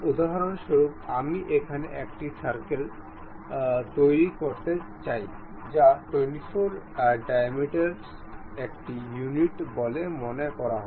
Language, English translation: Bengali, For example I would like to construct a circle here and that supposed to have a units of 24 diameters